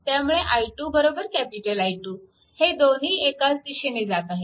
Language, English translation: Marathi, So, it is i 1 minus i 2 in this direction